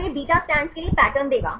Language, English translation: Hindi, So, this will give the pattern for the beta strands